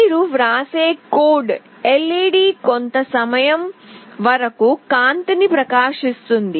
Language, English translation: Telugu, The code that you write, let us say that, LED will glow for some time